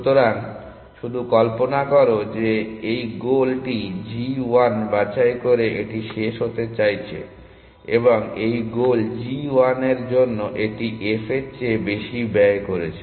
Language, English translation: Bengali, So, just imagine there it is about to terminate by picking this goal g 1, and this goal g 1 has it is cost more than the f f f